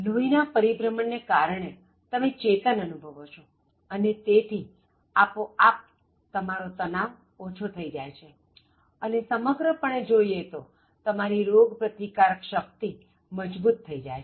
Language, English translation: Gujarati, So, when blood circulation is there normally you will feel very active and it will automatically suppress stress and overall it strengthens your immune system